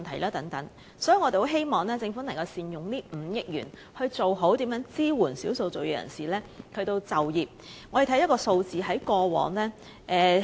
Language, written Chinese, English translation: Cantonese, 因此，我們很希望政府能善用這5億元，改善對少數族裔人士的就業支援。, Hence we hope the Government can make good use of that 500 million to improve employment support for the ethnic minorities